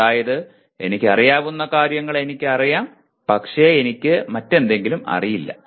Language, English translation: Malayalam, That is I know what I know but I do not know something else